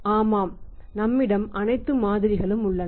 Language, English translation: Tamil, Yes that is all model available with us